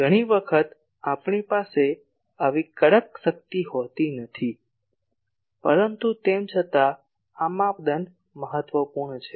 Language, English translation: Gujarati, Many times we do not have such stringency, but still this criteria is important